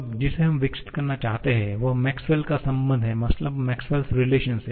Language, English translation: Hindi, Now, the one that we are looking to develop, the Maxwell’s relation